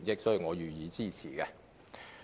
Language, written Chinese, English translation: Cantonese, 所以，我予以支持。, Hence I support their amendments